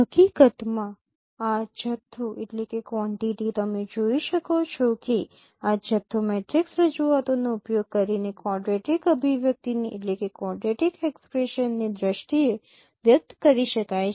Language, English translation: Gujarati, In fact this quantity as you can see that this quantity can be expressed in terms of quadratic expressions of using the matrix representations